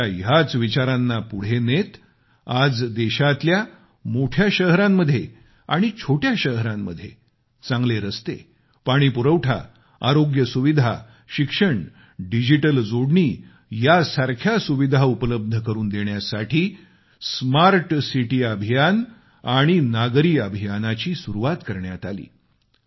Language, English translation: Marathi, In continuance with his vision, smart city mission and urban missionwere kickstarted in the country so that all kinds of amenities whether good roads, water supply, health facilities, Education or digital connectivity are available in the big cities and small towns of the country